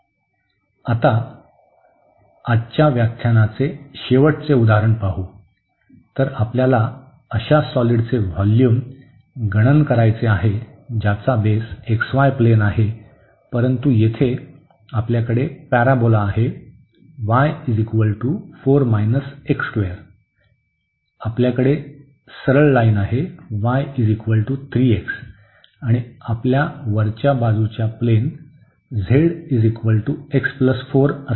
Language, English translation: Marathi, And now the last example of today’s lecture; so, we want to compute the volume of the solid whose base is again the xy plane, but now we have the parabola here y is equal to 4 minus x square, we have the straight line y is equal to 3 x and on the top we have the plane z is equal to x plus 4